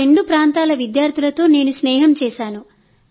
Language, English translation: Telugu, I have become friends with the students at both those places